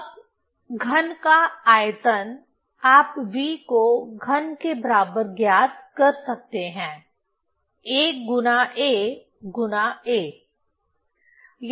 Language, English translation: Hindi, So now volume of the cube you can find out V equal to a cube a into a into a right